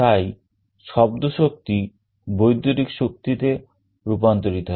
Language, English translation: Bengali, So, sound energy gets converted into electrical energy